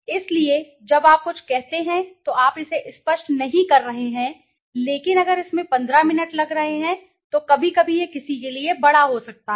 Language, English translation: Hindi, So, when you say few you are not making it clear but if it is taking 15 minutes sometimes it could be large for somebody